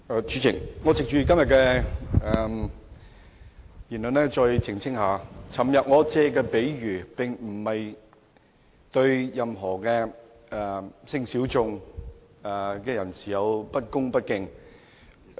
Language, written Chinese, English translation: Cantonese, 主席，我藉着今天的辯論再澄清一下，我昨天提出的比喻並非對任何性小眾人士有不恭不敬。, Chairman I wish to take the opportunity of the debate today to make a further clarification . When I made the analogy yesterday I meant no disrespect for the sexual minorities